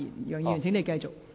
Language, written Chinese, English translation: Cantonese, 楊議員，請你繼續。, Mr YEUNG please continue